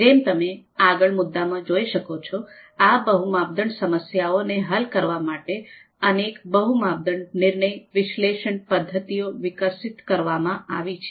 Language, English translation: Gujarati, So as you can see in our next point, multi criteria decision analysis methods, a number a number of them had been developed to solve these multi criteria problems